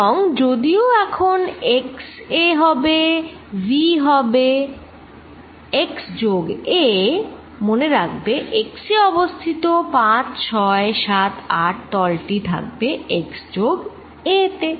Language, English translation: Bengali, And this v though is going to be act x is now x plus a, remember the surface 5, 6, 7, 8 is at x this is going to be x plus a